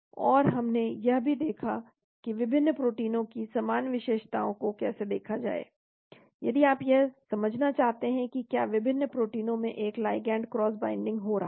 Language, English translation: Hindi, And we also looked at how to look at common features of various proteins, in case you want to understand if there is going to be a cross binding of a ligand into various proteins